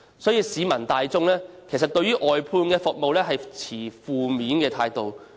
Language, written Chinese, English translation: Cantonese, 因此，市民大眾對外判服務持負面態度。, Therefore the general public take a negative attitude towards service outsourcing